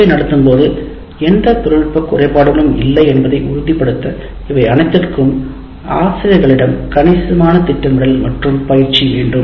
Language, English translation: Tamil, But all this will require considerable planning and work on the part of the teachers as well as to make sure there are no technology glitches that happen while you are conducting the class